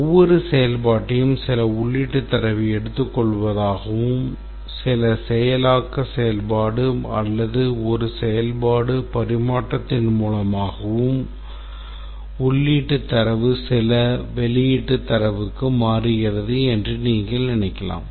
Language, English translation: Tamil, We can think of each function as taking some input data and through some processing activity or function or a function transforms the input data to some output data